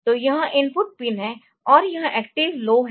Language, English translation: Hindi, So, it is the input pin it is active low